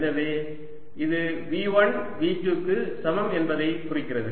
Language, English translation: Tamil, so this implies v one equals v two